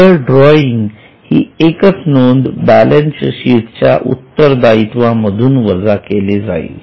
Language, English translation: Marathi, Only one for example drawing will be reduced from the balance sheet liability side